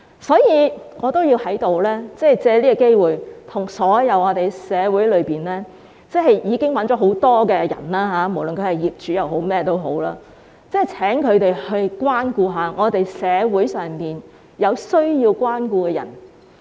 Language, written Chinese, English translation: Cantonese, 所以，我要藉此機會跟社會上所有已經賺取很多金錢的人說，無論他們是業主或是甚麼人，請他們關顧一下社會上有需要關顧的人。, I thus wish to take this opportunity to say something to those who have already made a fortune whether they are property owners or whosoever . They should care for people in need